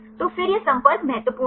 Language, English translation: Hindi, So, then these contacts are important right